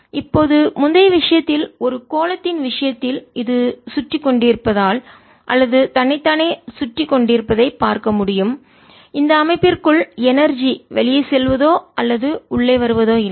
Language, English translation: Tamil, now, in the previous case, in the case of a sphere, you can see, since its winding around or itself, there is no energy going out or coming into this system